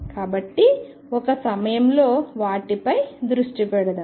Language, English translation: Telugu, So, let us focus them on at a time